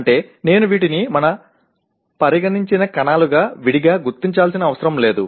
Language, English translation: Telugu, That is I do not have to separately identify these as cells of our concern